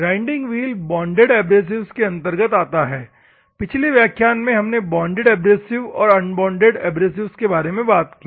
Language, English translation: Hindi, So, grinding wheel comes under the bonded abrasives; in the previous class, we have seen the bonded abrasives and unbonded abrasives